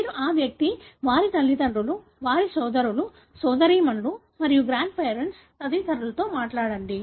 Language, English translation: Telugu, So, you talk to that individual, their parents, their brothers, sisters and grand parents and so on